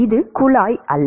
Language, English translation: Tamil, This is not pipe